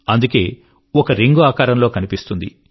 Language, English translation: Telugu, Hence, a ringlike shape is formed